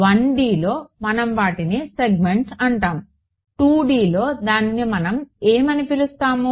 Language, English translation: Telugu, In 1 D we can call them segments in 2 D what do we call it